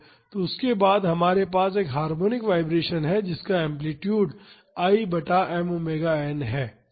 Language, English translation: Hindi, So, then after that we have a harmonic vibration with amplitude equal to I by m omega n